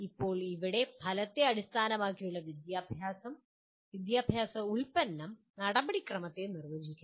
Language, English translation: Malayalam, Now here in outcome based education product defines the process